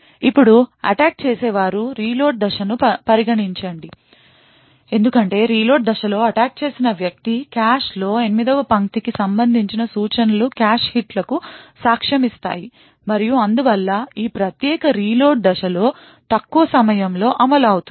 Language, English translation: Telugu, Now consider the attacker’s reload phase, since the instructions corresponding to line 8 are present in the cache the attacker during the reload phase would witness cache hits and therefore the execution time during this particular reload phase would be considerably shorter